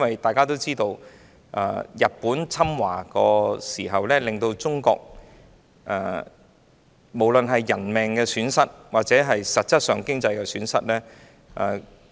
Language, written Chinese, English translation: Cantonese, 大家也知道，在日本侵華時，中國在人命或經濟方面均蒙受損失。, As we all know owing to Japans invasion China suffered human casualties and economic losses